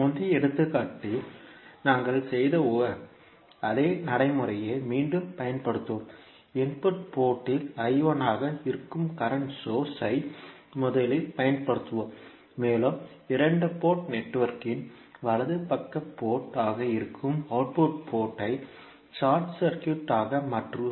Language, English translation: Tamil, We will again apply the same procedure which we did in the previous example, we will first apply current source that is I 1 at the input port and we will short circuit the output port that is the right side port of the two port network and we will find out the values of admittance parameters